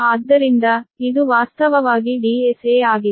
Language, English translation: Kannada, so that is actually d s a